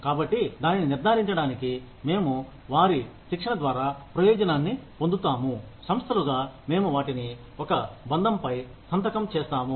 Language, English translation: Telugu, So, to ensure that, we get the benefit out of their training, as organizations, we have them sign a bond